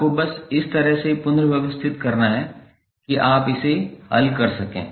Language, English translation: Hindi, You have to just simply rearrange in such a way that you can solve it